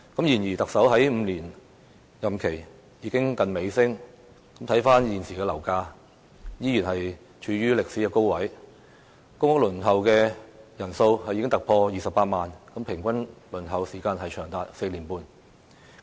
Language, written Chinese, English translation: Cantonese, 然而，特首的5年任期接近尾聲，現時的樓價依然處於歷史高位，公屋輪候人數已經突破28萬人，平均輪候時間長達4年半。, But now as the Chief Executives five - year tenure is drawing to an end property prices still remain at a historically high level with over 280 000 people on the waiting list for public housing and a waiting time of as long as four and a half years on average